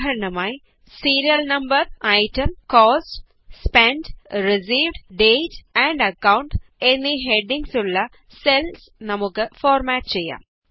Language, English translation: Malayalam, For example, let us format the cells with the headings Serial Number, Item, Cost, Spent, Received, Dateand Account